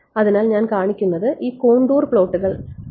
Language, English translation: Malayalam, So, what I am showing this contour plots right